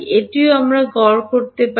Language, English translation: Bengali, That also we can average